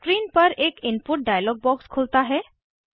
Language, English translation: Hindi, An Input dialog box opens on the screen